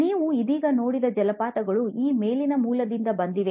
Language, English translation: Kannada, The waterfalls that you saw just now, came from a source on the top